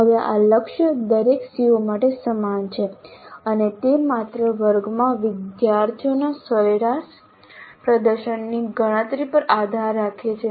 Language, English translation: Gujarati, Now this target is same for every CO and it depends only on computing the average performance of the students in the class